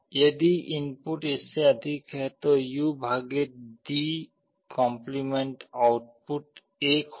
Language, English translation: Hindi, If the input is greater than this, the U/D’ output will be 1